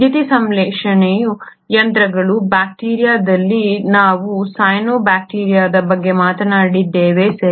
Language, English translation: Kannada, Even the machinery for photosynthesis, in bacteria we spoke about the cyanobacteria, right